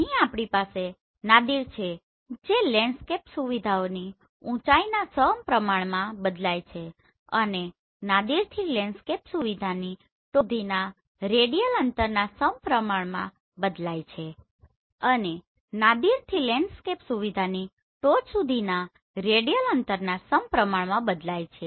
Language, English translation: Gujarati, So here we have Nadir varies directly with the height of the landscape features and varies directly with the radial distance from Nadir to the top of the landscape feature